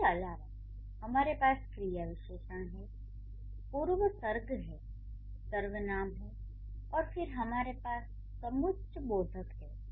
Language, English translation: Hindi, Then we have pronouns and then we have pronouns and then we have conjunctions